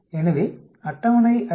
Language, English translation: Tamil, So, we expect the table is 5